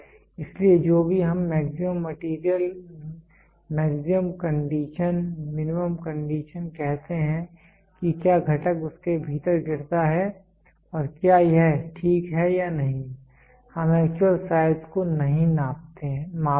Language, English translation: Hindi, So, whatever we say maximum material maximum condition minimum condition whether the component falls within that and whether it is ok or not ok; we do not measure the actual size